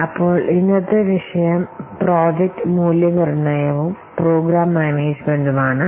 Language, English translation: Malayalam, So today's topic is project evaluation and program management